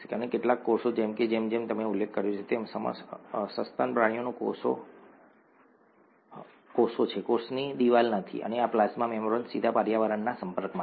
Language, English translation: Gujarati, And some cells such as, as I mentioned, the mammalian cells are cells, do not have a cell wall and the plasma membrane is directly exposed to the environment